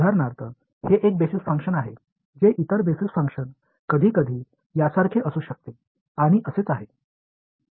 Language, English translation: Marathi, So for example, this is one basis function the other basis function can be sometimes like this and so on